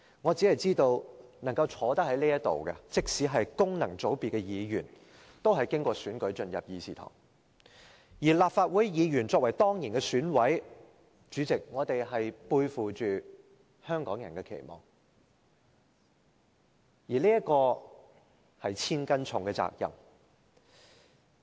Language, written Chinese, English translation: Cantonese, 我只知道能夠坐在這裏的，即使是功能界別的議員，都是經過選舉進入會議廳，而立法會議員作為當然的選委，背負着香港人的期望，而這是千斤重的責任。, All I know is that Members now present in the Chamber including Members returned by functional constituencies joined this Council by way of election . Legislative Council Members being ex - officio EC members shoulder the heavy responsibility of meeting the expectations of Hong Kong people